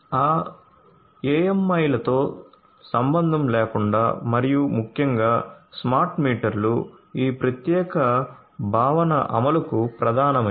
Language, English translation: Telugu, So, irrespective of that AMIs and particularly the smart meters are core to the implementation of this particular concept